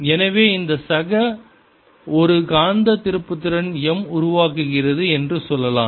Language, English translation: Tamil, so let's say this fellow develops a magnetic moment, m